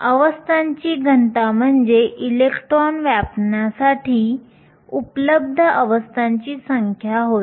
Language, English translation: Marathi, Density of states refers to the number of available states for electrons to occupy